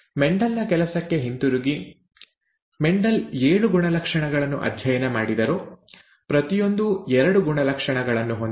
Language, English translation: Kannada, Coming back to Mendel’s work, Mendel studied seven characters, each of which had two traits